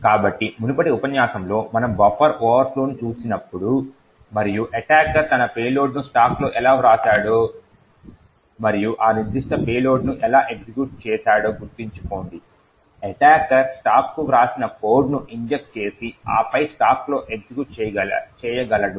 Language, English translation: Telugu, So, recollect that in the previous lecture when we looked at the buffer overflow and how the attacker wrote his payload in the stack and then executed that particular payload is that the attacker was able to inject code by writing to the stack and then execute in the stack